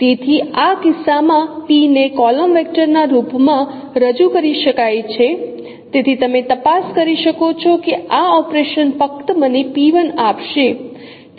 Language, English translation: Gujarati, So in this case since p can be represented in the form of column vector, so we can you can check that this operation will simply give me p1